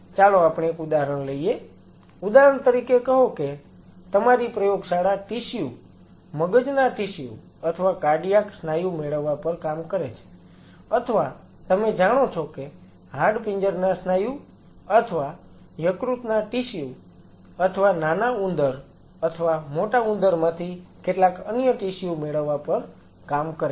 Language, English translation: Gujarati, So, let us take an example say for example, your lab works on deriving tissues brain tissues or cardiac muscle or you know skeletal muscle or liver tissue or some other tissue from the rat or a mouse